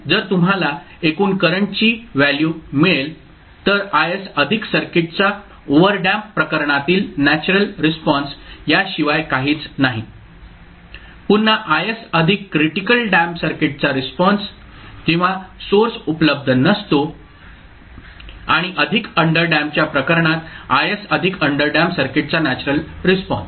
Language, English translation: Marathi, So you will get the total value of current i t is nothing but I s plus natural response of the circuit in case of overdamped, again I s plus critically damped response of the circuit when source is not available and plus in case of underdamped we get I s plus the natural response of underdamped circuit